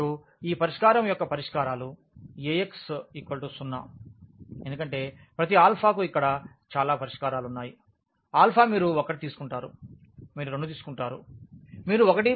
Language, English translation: Telugu, And, this the solution the solutions of this Ax is equal to 0 because there are so many solutions here for each alpha, alpha you take 1, you take 2, you take 1